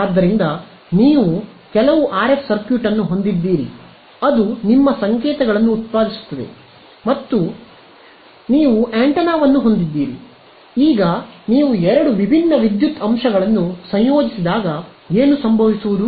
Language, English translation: Kannada, So, you have some RF circuit which generates your signals and all and you have an antenna, now when you combine two different electrical elements what will happen